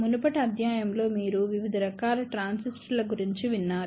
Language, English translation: Telugu, In the previous lecture, you had heard about different types of transistors